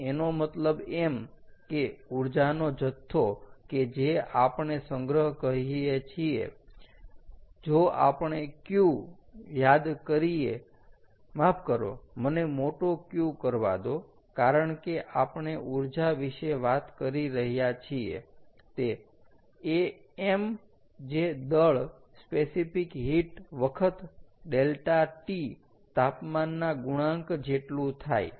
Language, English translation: Gujarati, so, which means the amount of energy that we store, if we know, if, if we recall, is q sorry, let me do capital q, because we are talking about energy is m, which is mass, the specific heat times, delta, t, ok, so lets say the volume is